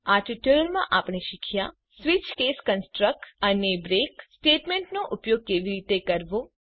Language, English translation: Gujarati, In this tutorial we have learnt how to use switch case construct and how to use break statement